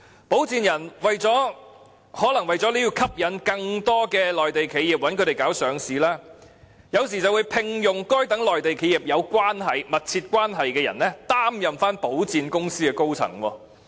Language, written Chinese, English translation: Cantonese, 保薦人更可能為了吸引更多內地企業委託他們處理上市事宜，而聘用與該等內地企業有密切關係的人，擔任保薦公司高層。, Sponsors may even employ persons closely connected with Mainland enterprises as their senior staff so that more of these enterprises would commission them to deal with their listing matters